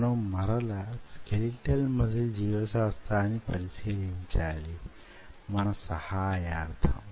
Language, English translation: Telugu, so again, just lets visit the skeletal muscle biology as a backup